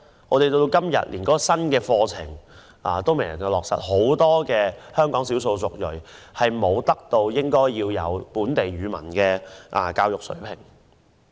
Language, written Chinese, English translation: Cantonese, 我們直到今天連新的課程都未能落實，香港很多少數族裔人士無法達致應有的本地語文水平。, Up till today we have yet to finalize the new curriculum resulting in many ethnic minorities in Hong Kong failing to attain the local language proficiency